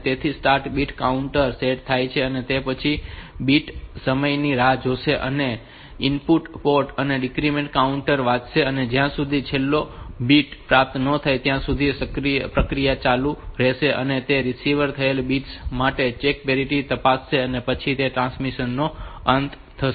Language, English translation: Gujarati, So, start bit counter is set and then this it will go to the wait for bit time, read the input port, decrement counter and till this process will go on till the last bit has been received, it check for check parity for the bits that are received and then that will be the end of the transmission